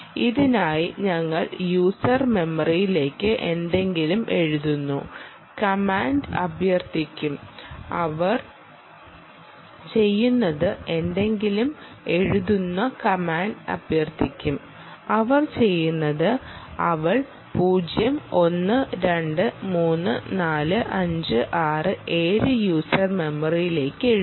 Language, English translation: Malayalam, for this we will invoke command by which we write something into the user memory and what she does is she writes zero, one, two, three, four, five, six, seven into the user memory